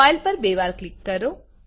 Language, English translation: Gujarati, Double click on the file